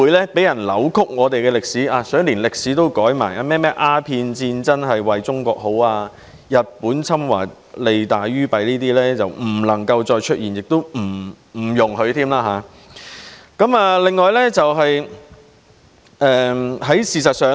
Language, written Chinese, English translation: Cantonese, 有些人連歷史也想篡改，說甚麼鴉片戰爭是為中國好，日本侵華利大於弊等，這些情況都不容許再出現。, Some people have even attempted to falsify the past saying something like the Opium War was for the good of China and the Japanese invasion of China had done more good than harm . Similar situations should not recur